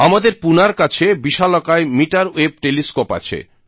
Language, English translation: Bengali, We have a giant meterwave telescope near Pune